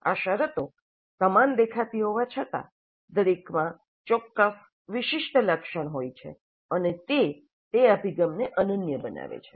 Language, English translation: Gujarati, Though these terms do look similar, each has certain distinctive flavors and it makes that approach unique